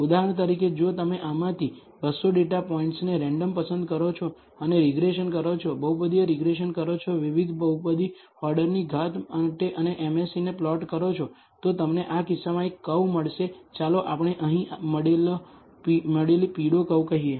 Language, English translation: Gujarati, For example, if you choose 200 data points out of this randomly and perform regression, polynomial regression, for different polynomial order degree and plot the MSE, you will get let us say one curve in this case let us say the yellow curve you get here